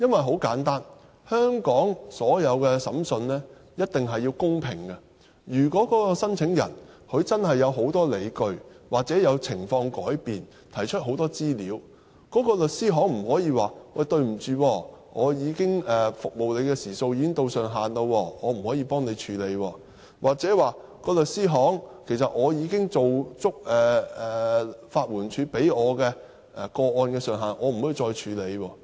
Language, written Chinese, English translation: Cantonese, 很簡單，香港所有的審訊一定要公平，如果申請人真的有很多理據，或情況有變，提出很多資料，律師行便不能說因為已經達到服務時數的上限，所以無法處理，又或是說已經做足法援署規定的個案上限，所以無法處理。, It is simple each and every case to be tried in Hong Kong should be tried in a fair manner . If the claimant can produce a number of grounds or if he can provide more information due to a change in the situation of his home country then the law firm cannot tell him that they cannot deal with his case because the ceiling of the service hours has been reached or say that they cannot further handle the case because the ceiling concerning the maximum number of cases set down by the Legal Aid Department has been reached